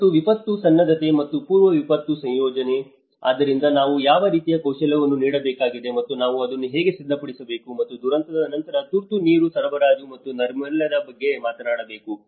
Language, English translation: Kannada, And the disaster preparedness and the pre disaster planning, so we talked about you know what kind of skills we have to impart and how we have to prepare for it and later on after the disaster, we have to talk about emergency water supply and sanitation